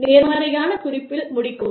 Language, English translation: Tamil, End on a positive note